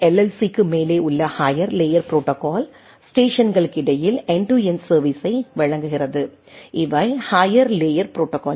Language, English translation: Tamil, So, higher layer protocol above LLC provide end to end service between the station right, these are the higher layer protocols